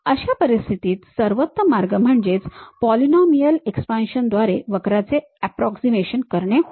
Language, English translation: Marathi, In that case the best way of approximating this curve is by polynomial expansions